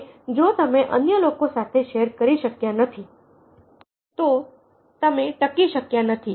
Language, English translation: Gujarati, if you didn't share with other, then you did not survive